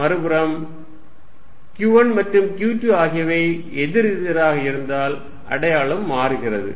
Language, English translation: Tamil, On the other hand, if q 1 and q 2 are opposite the sign changes